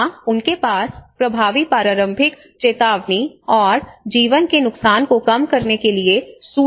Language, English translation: Hindi, Here they have effective early warning and the information mechanisms in place to minimise the loss of life